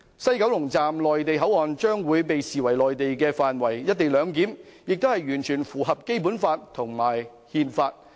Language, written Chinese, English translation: Cantonese, 西九龍總站的內地口岸區將會被視為內地範圍，而"一地兩檢"也完全符合《基本法》和《憲法》。, MPA of the West Kowloon Terminus will be regarded as the Mainland area and the co - location arrangement is also fully consistent with the Basic Law and the Constitution